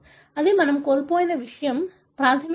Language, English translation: Telugu, That is something that we lost, basically